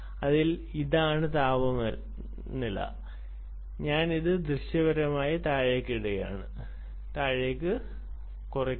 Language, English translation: Malayalam, ok, so this is the temperature i am just visually putting it down and there is a band that you have associated